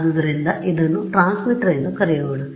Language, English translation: Kannada, So, let us call this is the transmitter